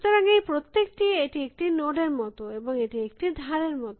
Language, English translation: Bengali, So, every, so this is like a node and this is like an edge